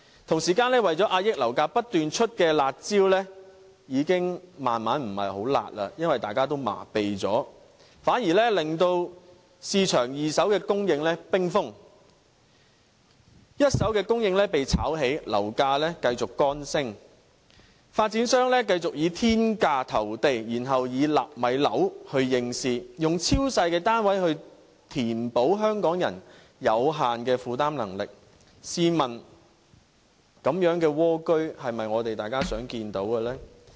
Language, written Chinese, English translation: Cantonese, 同時，為了遏抑樓價而不斷推出的"辣招"已漸漸不夠"辣"，因為大家也已經麻痺了，反而令市場二手供應冰封，一手供應被炒起，樓價繼續乾升，發展商繼續以天價投地，並以"納米樓"應市，以超細單位填補香港人有限的負擔能力，試問這種"蝸居"是否大家所樂見呢？, At the same time the people are getting used to the curb measures implemented once and again for containing price hikes and in fact the measures only lead to a freezing second - hand market and an escalating first - hand market . While property prices go on rising despite the reduction in transactions property developers continue tendering for land in astronomical prices even rolling out Nano flats that is tiny units produced to fit the peoples limited affordability . Are these narrow dwellings the kind of housing we would like to have?